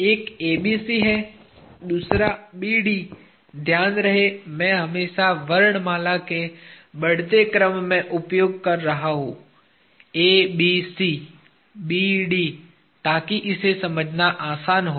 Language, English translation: Hindi, Mind you, I am always using in the increasing order of alphabet ABC, BD so that, it is easy to understand